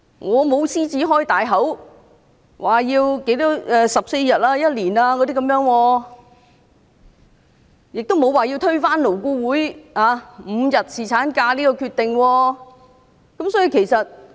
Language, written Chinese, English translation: Cantonese, 我沒有"獅子開大口"要求有14天或1年的侍產假，也沒有說要推翻勞工顧問委員會就5天侍產假達成的共識。, I am not voraciously demanding that paternity leave should be 14 days or one year nor am I saying that the consensus on five days paternity leave achieved by the Labour Advisory Board LAB should be overturned